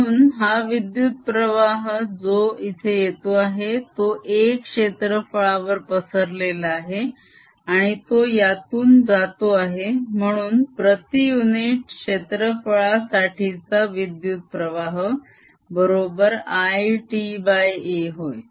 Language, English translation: Marathi, so it is as if this current which is coming in has spread over this area, a, and then it's going through, so the current per unit area becomes i t over a